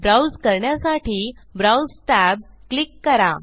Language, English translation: Marathi, To browse, just click the browse tab